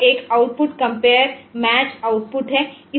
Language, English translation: Hindi, this is a output compare match output